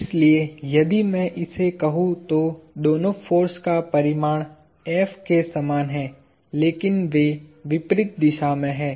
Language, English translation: Hindi, So, if I call this, both forces have the same magnitude F, but they are opposite in direction